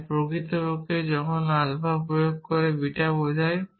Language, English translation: Bengali, So, it does not matter what alpha beta is